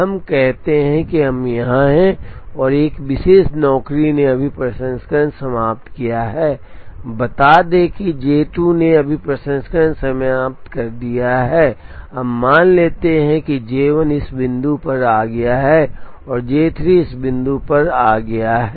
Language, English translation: Hindi, Let us say we are here, and a particular job has just finished processing, let us say J 2 has just finished processing here, now let us assume that J 1 has come at this point, and J 3 has come at this point